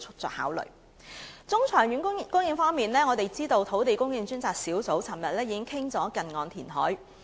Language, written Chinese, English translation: Cantonese, 在中、長遠的供應方面，我們知道土地供應專責小組前天曾討論近岸填海。, Regarding supply in the medium and long terms we know that the Task Force on Land Supply discussed near - shore reclamation the day before yesterday